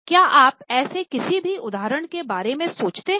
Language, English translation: Hindi, Do you think of any such examples